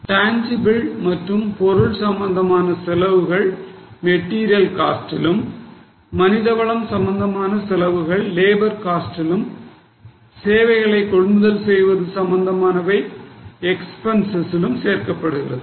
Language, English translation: Tamil, So, all tangible cost, item related costs are included in material, human related costs are classified into labor and service purchases related costs are expenses